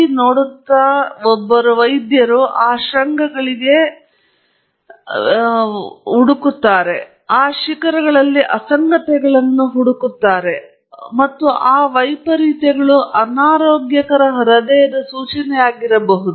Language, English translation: Kannada, A doctor who looks at ECG essentially searches for those peaks, and also searches for anomalies in those peaks, and those anomalies could be indication of an unhealthy heart, for example